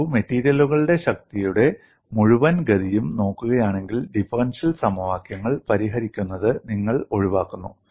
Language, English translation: Malayalam, See, if you look at the whole course of strength of materials, you avoid solving differential equations